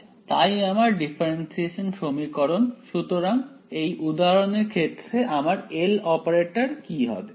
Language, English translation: Bengali, So that is my differential equation, so in this case for example, what will my L operator be